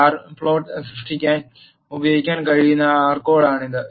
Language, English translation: Malayalam, This is the R code that can be used to generate the bar plot